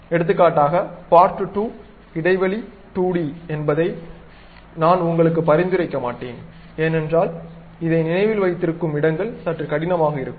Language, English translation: Tamil, For example, part 2 space 2d, I would not recommend you, because this remembering spaces will be bit difficult